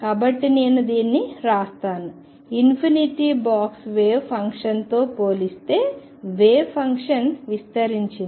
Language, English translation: Telugu, So, let me write this: the wave function is spread out compared to the infinite box wave function